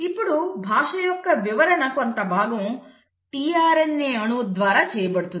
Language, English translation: Telugu, Now that interpretation of the language is done in part, by the tRNA molecule